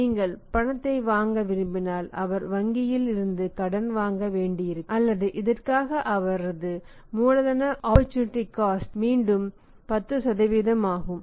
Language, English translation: Tamil, If you want to buy on cash he will have to borrow money from the bank or his cost of capital for this is opportunity cost is again 10%